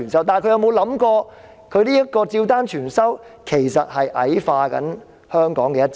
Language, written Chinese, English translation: Cantonese, 但是，她有否想過，她照單全收其實是在矮化香港的"一制"？, But has she considered that her full compliance of their demands is in fact degrading the one system of Hong Kong?